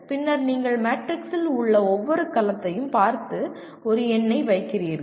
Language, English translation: Tamil, Then you look at each cell in the matrix and you put a number